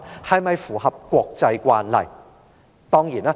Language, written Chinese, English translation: Cantonese, 是否符合國際慣例？, Is this in line with international practice?